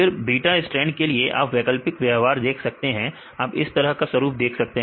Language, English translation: Hindi, Then for the beta strand you can see alternate behavior right you can see pattern like this right fine